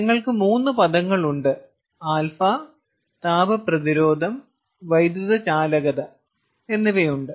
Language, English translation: Malayalam, you have three terms: alpha, you have a thermal resistance and electrical conductance